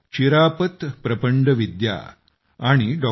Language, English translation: Marathi, Chirapat Prapandavidya and Dr